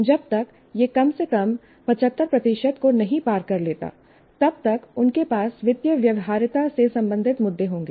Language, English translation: Hindi, Unless at least it crosses 75,000, they will have issues related to financial viability